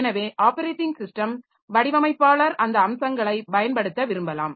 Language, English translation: Tamil, So, operating system designer may like to exploit those features